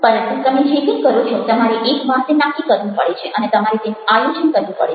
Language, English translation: Gujarati, but whatever you do, once you have decided that you will have to plan it out